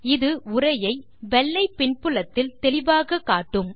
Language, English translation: Tamil, This will make the text clearly visible against the white background